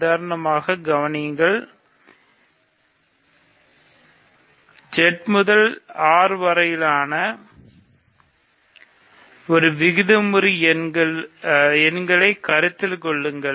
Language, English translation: Tamil, So, for example, consider; for example, consider the map from Z to R, to rational numbers